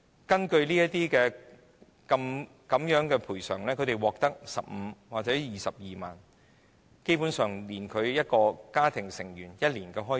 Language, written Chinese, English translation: Cantonese, 根據有關賠償安排，他們只獲得15萬元或22萬元，基本上不足以應付一個家庭成員一年的開支。, Under the relevant compensation arrangements they can only receive 150,000 or 220,000 . These two sums are basically not enough to meet the expenses of all members in a family within one year